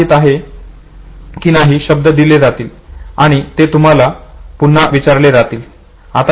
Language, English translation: Marathi, You knew that certain words will be presented to you and you will be asked to reproduce it